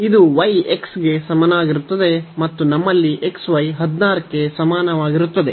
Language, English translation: Kannada, This is y is equal to x and this is xy is equal to 16 and y is equal to x